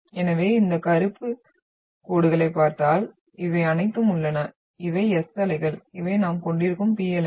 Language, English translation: Tamil, So if you look at these black lines, all are having you are having these are S waves, these are P waves we are having